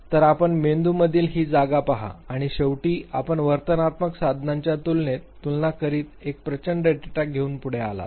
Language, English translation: Marathi, So, you look at this space in the brain and then finally you come forward with a very huge data which you compare against the behavioral tools